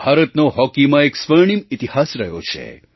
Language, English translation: Gujarati, India has a golden history in Hockey